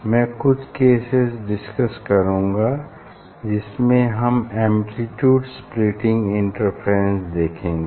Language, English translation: Hindi, that is why we use extended source for in case of this amplitude division, amplitude splitting interference